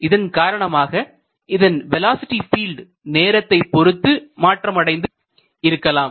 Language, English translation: Tamil, So, it is possible that the velocity field has changed with time